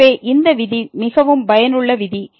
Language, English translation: Tamil, So, this rule is a very useful rule